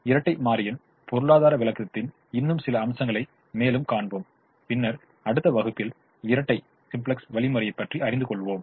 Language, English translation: Tamil, we will see some more aspects of the economic interpretation of the dual and then move on to the dual simplex algorithm in the next class